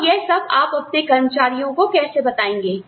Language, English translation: Hindi, And, how you communicate, all of this, to your employees